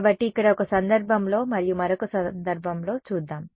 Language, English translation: Telugu, So, let us look at in one case and another case over here ok